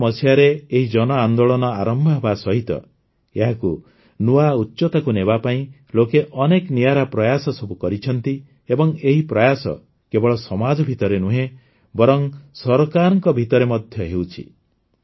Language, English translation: Odia, Since the inception of this mass movement in the year 2014, to take it to new heights, many unique efforts have been made by the people